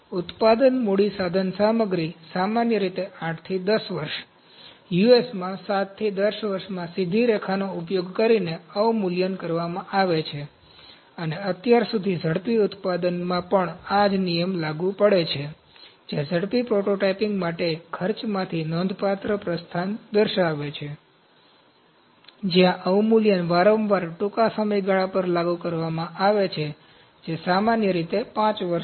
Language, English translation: Gujarati, Manufacturing capital equipment is normally depreciated using a straight line over 8 to 10 years, 7 to 10 years in US, and so far in rapid manufacturing also these rules apply, representing a significant departure from costing for rapid prototyping, where deprecation is frequently applied over a shorter timescales, that is 5 years typically